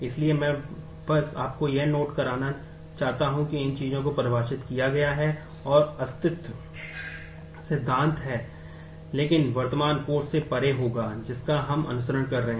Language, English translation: Hindi, So, I just want you to note that these things have been defined and the existent theory, but will be beyond the current course that we are pursuing